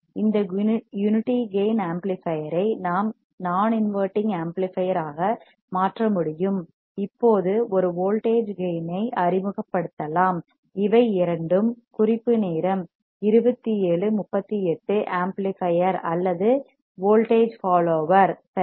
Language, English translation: Tamil, This unity gain amplifier we can convert into a non inverting amplifier right and we can introduce a voltage gain right now this both are (Refer Time: 27:38) amplifier or a voltage follower right